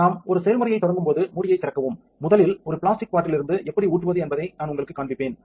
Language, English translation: Tamil, When we are starting a process, open the lid, first I will show you how to pour from a plastic bottle